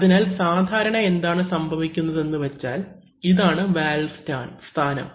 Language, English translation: Malayalam, So normally what is happening is that this is the position of the valve